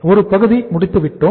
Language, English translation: Tamil, One part is done